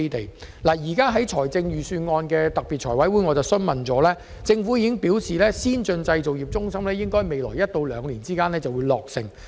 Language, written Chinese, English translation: Cantonese, 我曾在有關預算案的財務委員會特別會議上就此提出質詢，政府回覆時表示，先進製造業中心應可在未來一兩年落成。, I raised this issue at the special meetings of the Finance Committee FC to discuss the Budget . In response the Government said that the Advanced Manufacturing Centre AMC was expected to be completed in the next year or two